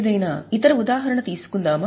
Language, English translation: Telugu, Can you give any example